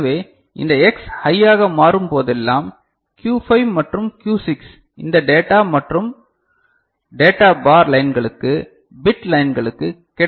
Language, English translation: Tamil, And so, whenever this X becomes high right so, the Q5 and Q6 make you know data available to this data and data bar lines, to bit lines ok